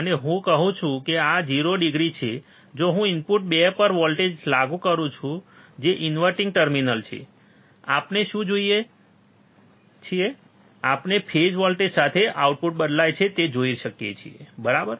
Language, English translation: Gujarati, And I say this is 0 degree, if I apply voltage at input 2 that is inverting terminal, what we can see we can see a voltage the output with a phase change, right